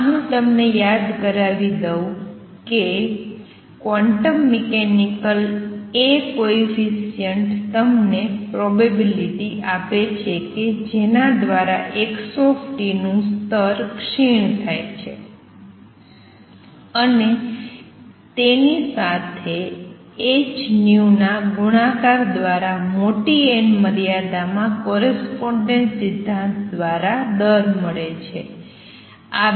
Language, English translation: Gujarati, This I should remind you is a quantum mechanical quantity A coefficient because A n, n minus 1 gives you the probability through which the x r state decays and with that multiplied by h nu gives you the rate in the large n limit by correspondence principle the 2 result should match